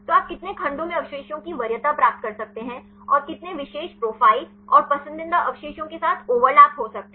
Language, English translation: Hindi, So, how many segments you can get the preference of residues and how many overlaps with the particular profile and the preferred residues